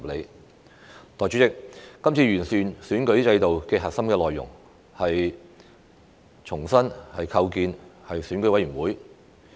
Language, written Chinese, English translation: Cantonese, 代理主席，今次完善選舉制度的核心內容，是重新構建選委會。, Deputy President the core element of this exercise on improving the electoral system is the reconstitution of EC